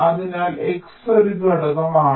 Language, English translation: Malayalam, so x is a factor